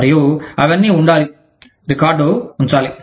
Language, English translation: Telugu, And, all of that has to be, kept a record of